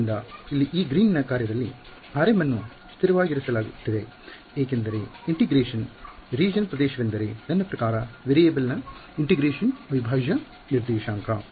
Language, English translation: Kannada, So, here in this Green's function r m is being held constant because the region of integration is I mean the variable of integration is my prime coordinate